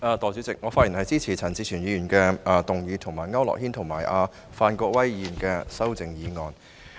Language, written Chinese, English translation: Cantonese, 代理主席，我發言支持陳志全議員動議的議案，以及區諾軒議員和范國威議員的修正案。, Deputy President I rise to speak in support of Mr CHAN Chi - chuens motion and the amendments proposed by Mr AU Nok - hin and Mr Gary FAN